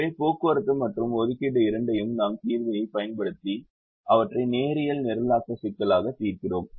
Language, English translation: Tamil, so both the transportation and assignment, we have actually solve them as linear programming problems when we used the solver